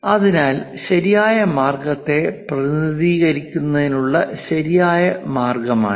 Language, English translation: Malayalam, So, this is right way of representing correct way